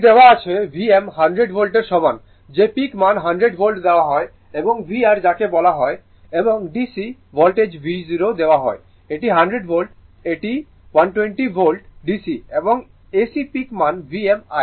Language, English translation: Bengali, It is given V m is equal 100 volt that is the peak value is given 100 volt and V your what you call and DC voltage V 0 is given this is 100 volt DC this is 120 volt DC right and AC peak value V m